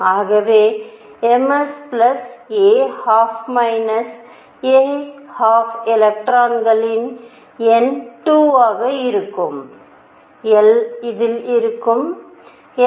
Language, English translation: Tamil, So, m s would be plus a half minus a half number of electrons would be 2, I would also have in this, l equals 1